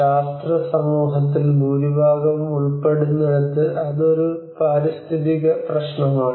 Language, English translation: Malayalam, Where the most of the scientific community are involved, it is an environmental problem